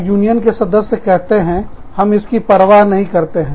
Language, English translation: Hindi, And, the union members say, we do not care